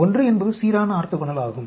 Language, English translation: Tamil, 1 is balance orthogonal